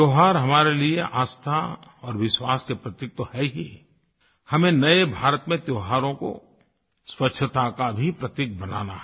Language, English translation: Hindi, Festivals are of course symbols of faith and belief; in the New India, we should transform them into symbols of cleanliness as well